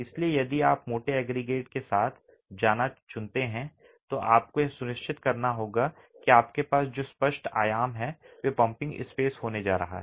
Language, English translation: Hindi, So if you choose to go with course aggregate you'll have to ensure that the clear dimensions that you have are going to be pumpable spaces